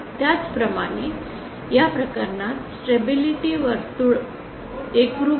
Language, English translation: Marathi, Similarly, in this case the circle the stability circle is concurrent